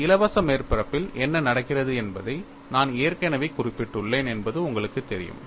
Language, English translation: Tamil, You know, I have already mentioned what happens on a free surface